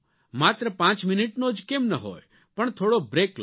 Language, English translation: Gujarati, If only for five minutes, give yourself a break